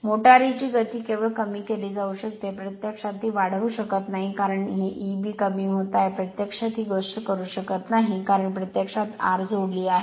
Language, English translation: Marathi, The speed of the motor can only be decreased, you cannot increase it, because because of this your E b is decreasing right, you cannot this thing, you can because, you have added r